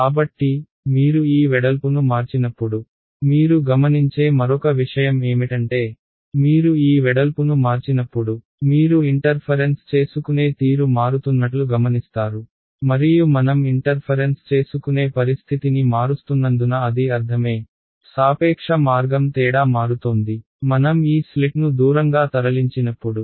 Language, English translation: Telugu, So, as you vary this width that is the other thing you will observe, as you vary this width you will observe that the interference pattern changes and that makes sense because I am changing the interference condition, I am right the relative path difference is changing as I move this slit away